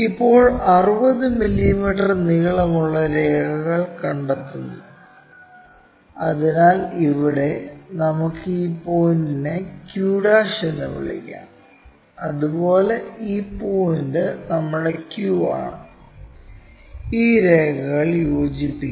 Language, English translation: Malayalam, Now, 60 mm long lines locate it; so here, and let us call this point as q'; similarly this point is our q, join these lines